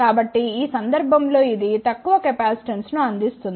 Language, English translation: Telugu, So, in this case it provide the lower capacitance